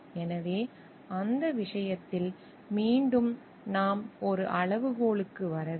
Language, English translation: Tamil, So, in that case again like when we have to arrive at a criteria